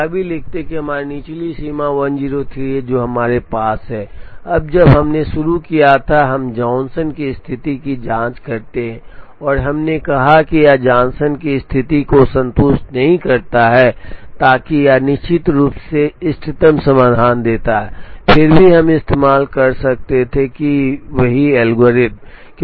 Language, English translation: Hindi, Let us also write that our lower bound is 103 that we have, now when we started, we check the Johnson condition and we said that this does not satisfy the Johnson condition, so that it definitely gives the optimum solution, still we could have used the same algorithm